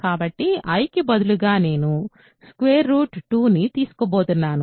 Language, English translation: Telugu, So, let us take a plus now instead of i, I am going to take root 2